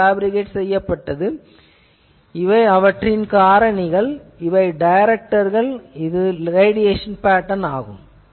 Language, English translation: Tamil, And this is the with directors, this is the radiation pattern